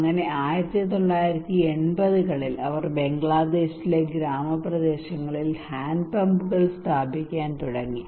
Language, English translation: Malayalam, So in 1980s they started to install hand pumps in rural areas in Bangladesh to promote